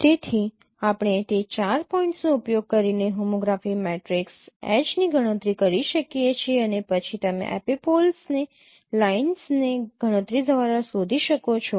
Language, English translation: Gujarati, So you can compute the homography matrix H Py using those four points and then you can find out the epipoles by computing the epipolar line